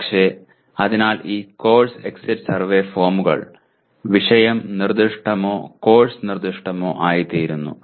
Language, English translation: Malayalam, But, so these course exit survey forms become subject specific or course specific